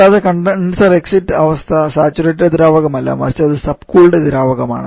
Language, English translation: Malayalam, And also the condition exit condition is not of saturated liquid rather it is subcooled liquid